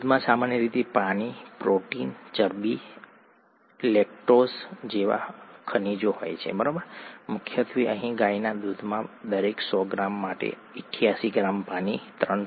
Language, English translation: Gujarati, Milk typically contains predominantly, water, protein, fat, lactose, minerals, predominantly here the cow’s milk contains for every hundred grams, 88 g of water, 3